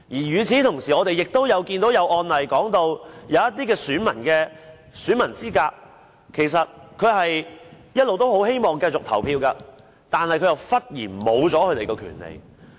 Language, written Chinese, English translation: Cantonese, 與此同時，我們也看到一些案例，有些選民喪失選民資格，其實他們一直希望繼續可以投票的，但忽然喪失權利。, At the same time we also notice that in some cases the voters have lost their eligibility . In fact they want to continue to vote but have suddenly lost their eligibility